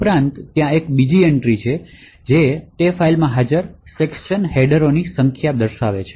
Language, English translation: Gujarati, Also, there is another entry called the number of section headers present in that particular file